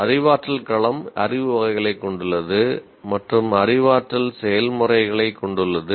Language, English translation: Tamil, And cognitive domain has knowledge categories and has cognitive processes